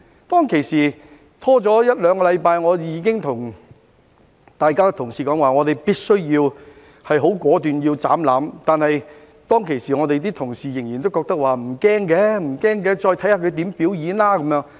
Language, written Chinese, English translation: Cantonese, 當時，拖了一兩個星期，我已經跟各位同事說，我們必須果斷"斬纜"，但當時我們的同事仍然認為不用擔心，再看他如何表演。, At that time after a week or two of delay I already told my colleagues that we had to end the filibuster decisively but at that time our colleagues still thought that we should not worry and see how he would perform